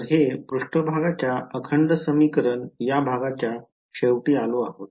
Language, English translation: Marathi, So, that brings us to on end of the part of surface integral equations